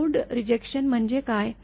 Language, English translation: Marathi, What is load rejection